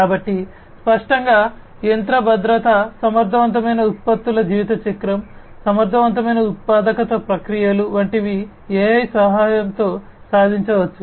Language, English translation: Telugu, So; obviously, things like machine learning sorry machine safety, efficient products lifecycle, efficient manufacturing processes, these could be achieved with the help of AI